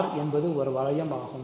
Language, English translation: Tamil, Hence, R is a ring ok